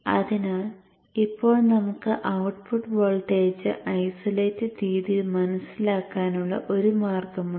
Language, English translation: Malayalam, So therefore now you have a means of sensing the output voltage in an isolated manner